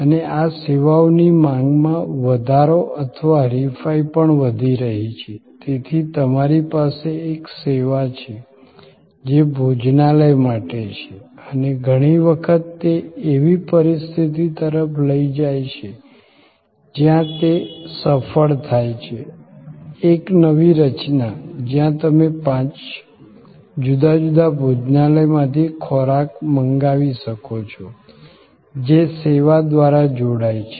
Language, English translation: Gujarati, And this increase in demand for services or also increasing the competition, so you have a service, which is for restaurant location and often that leads to a situation where it that services successful, a new structure, where you can order food from five different restaurant and combine through that service